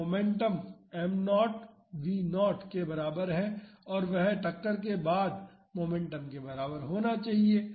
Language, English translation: Hindi, So, the momentum is equal to m naught v naught and that should be equal to the momentum after impact